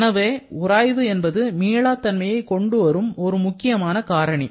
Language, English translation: Tamil, So, friction is the biggest source of irreversibility